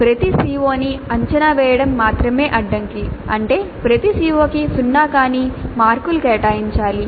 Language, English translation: Telugu, The only constraint is that every CO must be assessed which means that non zero marks must be allocated to every CO